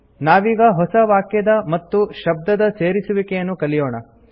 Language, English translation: Kannada, We will now learn to add new words and sentences